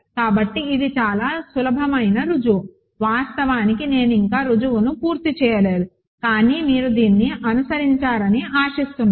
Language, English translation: Telugu, So, this is a very easy proof actually let me not complete the proof yet, but you hopefully followed this